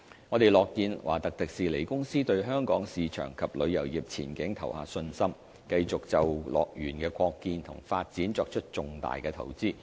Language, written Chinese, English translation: Cantonese, 我們樂見華特迪士尼公司對香港市場及旅遊業前景投下信心，繼續就樂園的擴建和發展作出重大投資。, We are pleased that TWDC has casted a vote of confidence in the prospects of the Hong Kong market and our tourism industry and continues to make substantial investment in the expansion and development plan of HKDL